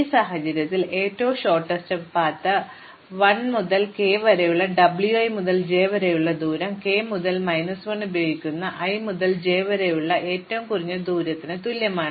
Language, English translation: Malayalam, In this case the shortest distance from W i to j using 1 to k is the same as the shortest distance from i to j using k minus 1